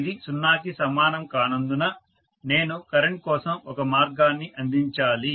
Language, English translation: Telugu, Because it is not equal to 0, I have to provide a path for the current